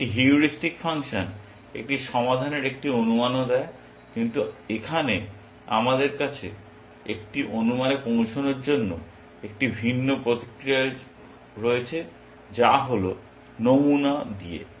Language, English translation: Bengali, A heuristic function also gives an estimate of a solution, but here we have a different mechanism to arrive at an estimate is that is by sampling